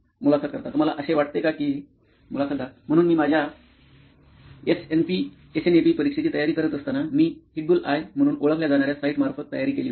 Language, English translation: Marathi, Do you think that comes to… So while I was preparing for my SNAP exam, so I had prepared through the site known as the ‘Hitbullseye’